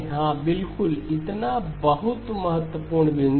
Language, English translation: Hindi, ” Yeah, exactly so very, very important point